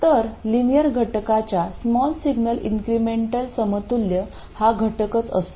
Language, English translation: Marathi, So, the small signal incremental equivalent of a linear element is the element itself